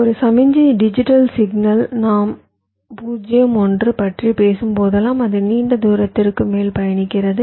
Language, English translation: Tamil, so whenever a signal, a digital signal we are talking about zero one it traverses over long distance